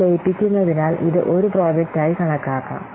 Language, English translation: Malayalam, So since they will be merged, then this can be treated as a project